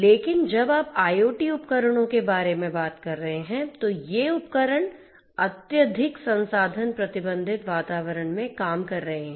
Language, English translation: Hindi, But when you are talking about IoT devices, these devices are operating in highly resource constrained environments right